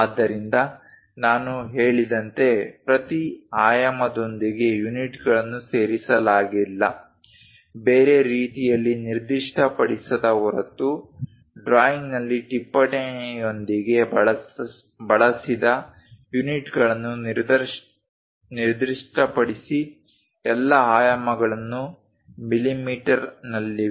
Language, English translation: Kannada, So, as I said units are not included with each dimension, specify the units used with a note on the drawing as unless otherwise specified, all dimensions are in mm